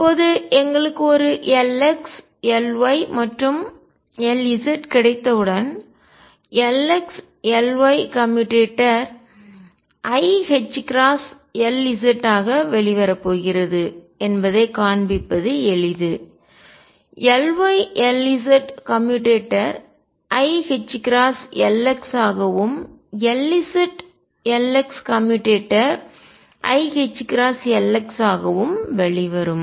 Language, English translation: Tamil, Now, once we have got an L x, L y and L z it is easy to show that L x, L y commutator is going to come out to be i h cross L z, L y L z commutator will come out to be i h cross L x and L z L x commutator will come out to be i h cross L x